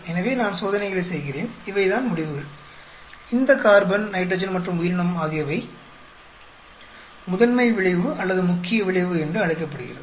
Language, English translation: Tamil, So, I do the experiments these are the results, this the carbon nitrogen and organism are called the principle effect or main effect